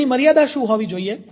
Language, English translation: Gujarati, what should be the limit of it